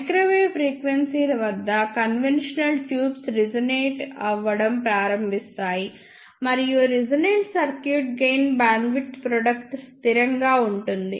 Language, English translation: Telugu, At microwave frequencies the conventional tubes start resonating; and for a resonant circuit gain bandwidth product is constant